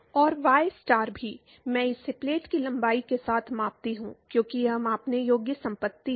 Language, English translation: Hindi, And y star also, I scale it with the length of the plate, because that is the measurable property